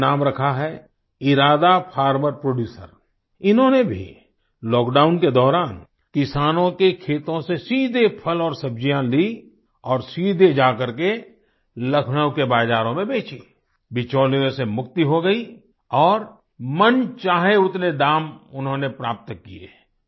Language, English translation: Hindi, They named themselves the Iraada; Farmer Producer and they too during the lockdown, procured fruits and vegetables directly from the cultivators' fields, and sold directly in the markets of Lucknow, free from the middlemen, and got whatever price they demanded